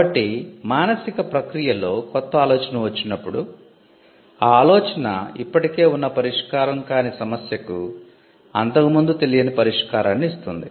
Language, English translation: Telugu, So, the mental process when it comes up with an original idea and the original idea results in an unknown solution to an existing unsolved problem